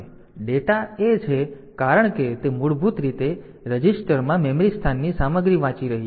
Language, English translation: Gujarati, So, data is since it is it is basically reading the content of memory location into A register